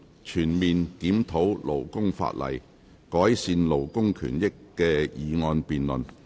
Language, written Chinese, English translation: Cantonese, 全面檢討勞工法例，改善勞工權益的議案辯論。, The motion debate on Conducting a comprehensive review of labour legislation to improve labour rights and interests